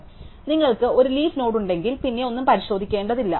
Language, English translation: Malayalam, So, once you have a leaf node, then nothing to check